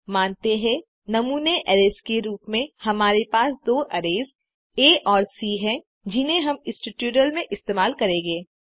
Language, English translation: Hindi, Let us have two arrays, A and C, as the sample arrays that we will use to work through this tutorial